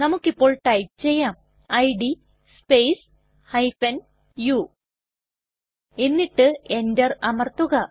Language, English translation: Malayalam, Let us type the command, id space u and press enter